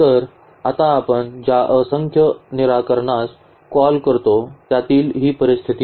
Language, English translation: Marathi, So, now this is the case of this infinitely many solutions which we call